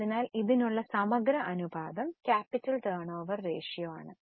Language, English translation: Malayalam, So, a comprehensive ratio for this is capital turnover ratio